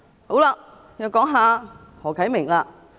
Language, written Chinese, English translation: Cantonese, 好了，我又談談何啟明議員。, Okay let me talk about Mr HO Kai - ming again